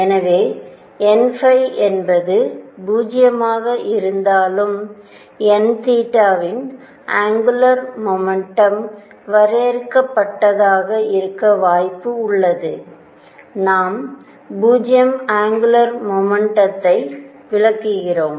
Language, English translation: Tamil, So, that even if n phi is 0 there is a possibility of n theta having the angular momentum being finite we are excluding 0 angular momentum